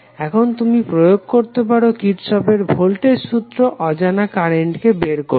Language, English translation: Bengali, Now you can simply apply the Kirchhoff's voltage law to find the unknown currents